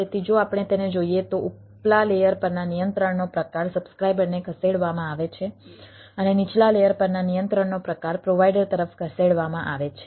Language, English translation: Gujarati, so if we ah, if we look at it, the type of control at the upper layers are moved to the subscriber and type of control at the lower layers are moved to the provider side